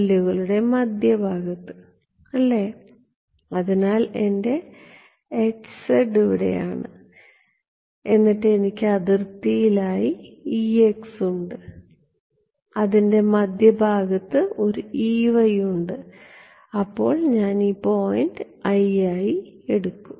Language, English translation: Malayalam, Center of the cells right; so, my H z is over here H z is over here then I have a E x that is at the boundary right at the middle over here, then I have a E y we take this point to be i,j